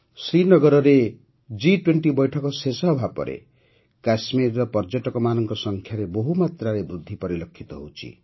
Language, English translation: Odia, After the G20 meeting in Srinagar, a huge increase in the number of tourists to Kashmir is being seen